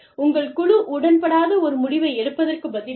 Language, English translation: Tamil, Instead of taking a decision, that your team may not, agree with